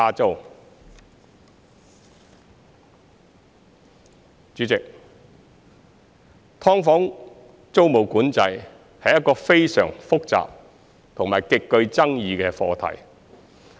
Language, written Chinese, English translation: Cantonese, 代理主席，"劏房"租務管制是一個非常複雜和極具爭議的課題。, Deputy President tenancy control on subdivided units is a very complicated and controversial issue